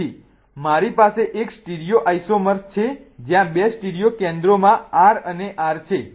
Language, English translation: Gujarati, So, I have one stereo isomer wherein the two stereo centers are R and R